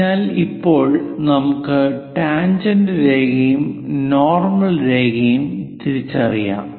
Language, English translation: Malayalam, So, now, let us identify the tangent line and the normal line